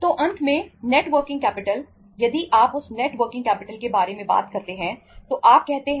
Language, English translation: Hindi, So ultimately we are talking about the net working capital